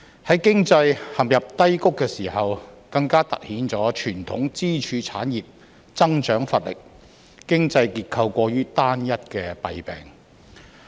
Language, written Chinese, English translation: Cantonese, 在經濟陷入低谷的時候，更凸顯傳統支柱產業增長乏力、經濟結構過於單一的弊病。, The economic doldrums have highlighted the maladies of lacklustre growth in traditional pillar industries and an overly homogeneous economic structure